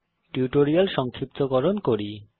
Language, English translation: Bengali, Lets summarize the tutorial